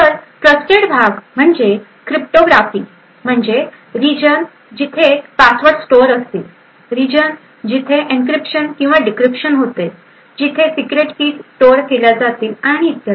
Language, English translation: Marathi, So, the trusted part would be aspects such as cryptography, whether a region where passwords are stored, a region where encryption and decryption is done, secret keys are stored and so on